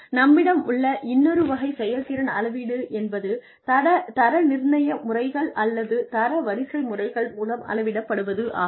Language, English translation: Tamil, The other type of performance management, that we have is, by grading methods, or ranking methods